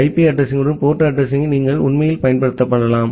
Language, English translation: Tamil, You can actually use the port address along with the IP address